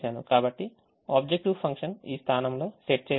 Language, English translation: Telugu, the objective function can be calculated